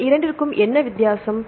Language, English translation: Tamil, What is the difference between these two